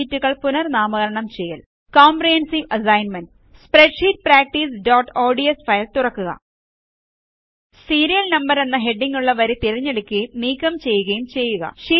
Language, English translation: Malayalam, Renaming Sheets COMPREHENSIVE ASSIGNMENT Open Spreadsheet Practice.ods file Select and delete the row with the heading Serial Number